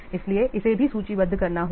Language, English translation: Hindi, So that also have to be listed